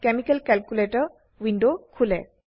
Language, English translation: Assamese, Chemical calculator window opens